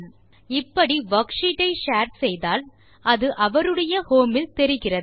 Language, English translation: Tamil, Once we have shared the worksheet, the worksheet appears on the home of shared users